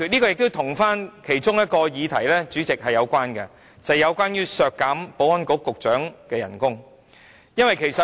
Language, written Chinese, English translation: Cantonese, 另一個議題亦有關聯，便是削減保安局局長的薪酬。, Another issue is also related and that is the cutting of the remuneration of the Secretary for Security